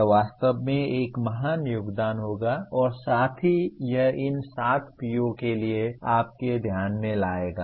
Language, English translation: Hindi, That would be a really a great contribution as well as it will bring it to your attention to these 7 POs